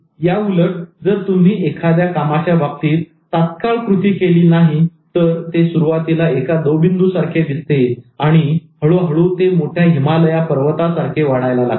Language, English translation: Marathi, And conversely, if you don't take immediate action, a task that appeared just like a dew, a tiny drop of dew, will very slowly, gradually turn into a very big mountain like the Himalayas